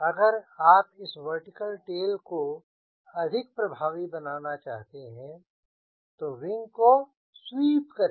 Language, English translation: Hindi, so if you really want this vertical tail be more effective, you sweep the wing